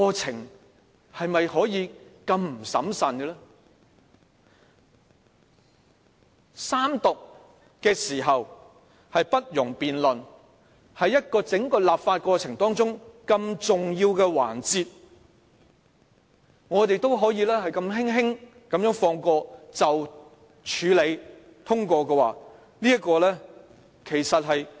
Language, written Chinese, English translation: Cantonese, 在法案三讀時不容辯論方面，法案三讀是整個立法過程中很重要的環節，我們也可以輕輕放過，如這樣處理通過，是非常離譜的做法。, When discussing the proposal that no debate may arise during the Third Reading of a bill I must point out that the Third Reading is a very important part of the legislative process . It will be absurd of us to let the proposal get through so very easily